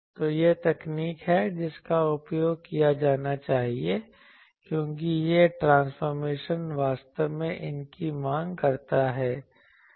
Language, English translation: Hindi, So, this is the technique that should be used, because this transformation actually demands these